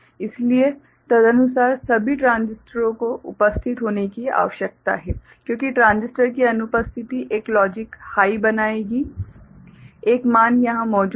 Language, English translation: Hindi, So, accordingly all the transistors need to be present because absence of transistor will make a logic high, one value present here clear